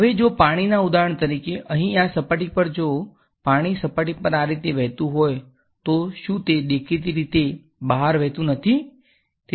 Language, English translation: Gujarati, Now if water were for example, in this surface over here if water was flowing like this along the surface would it; obviously, not flow out